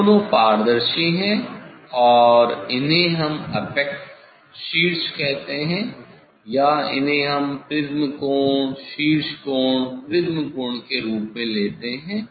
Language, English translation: Hindi, these two are transparent and these we tell apex or these we take as a prism angle, apex angle, prism angle